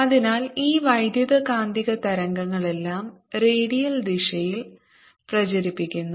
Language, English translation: Malayalam, so all this electromagnetic waves of propagating in the redial direction